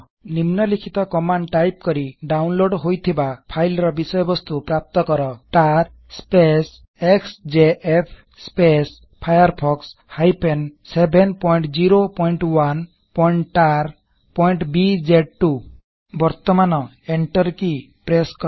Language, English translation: Odia, Extract the contents of the downloaded file by typing the following command#160:tar xjf firefox 7.0.1.tar.bz2 Now press the Enter key